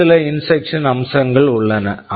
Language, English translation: Tamil, and Tthere are some other instruction features